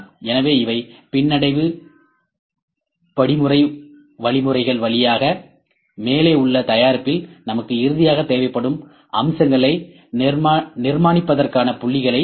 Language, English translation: Tamil, So, these via regression course algorithms, the points can be analyzed for construction of the features that we finally, need in above product